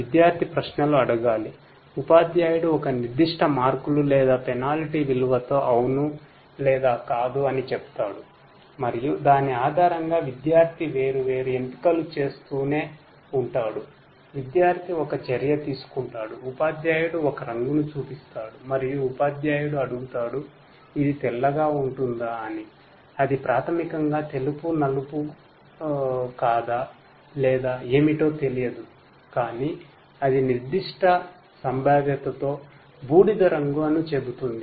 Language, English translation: Telugu, The student will have to ask questions; the teacher will say yes or no with a certain marks or penalty value and based on that the student will keep on interacting making different choices, takes and action student takes an action you know the teacher asks that is this you know shows a color let us say the teacher shows a color and this the teacher asks that is it white then the student basically who does not know whether it is white black or what whatever it is will say that it is grey with certain probability